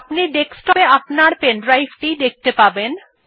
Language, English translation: Bengali, Here you can see that your pen drive is present on the desktop